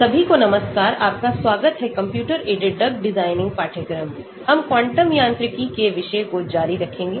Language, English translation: Hindi, Hello everyone, welcome to the course on computer aided drug design, we will continue on the topic of quantum mechanics